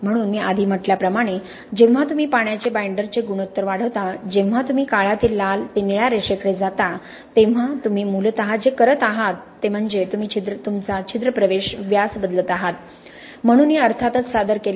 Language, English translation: Marathi, So as I said earlier when you increase the water to binder ratio, when you are going from the black to the red to the blue line what you are essentially doing is you are changing your pore entry diameter, so this is of course presented in terms of the differential pore volume